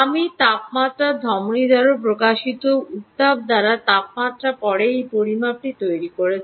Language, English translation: Bengali, i made this measurement by reading the temperature, by the heat, i would say, emanated by the temporal artery